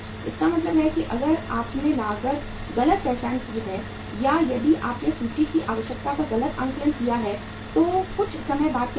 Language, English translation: Hindi, It means if you have mismanaged or if you have mis assessed the inventory requirement so sometime what will happen